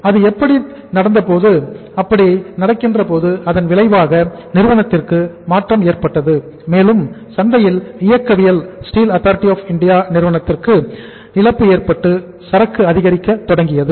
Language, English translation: Tamil, Now that happened and when that happened the immediate effect of the company, the this change in the market and the market dynamics was and the loss of the market to Steel Authority of India Limited that the inventory started, their inventory started mounting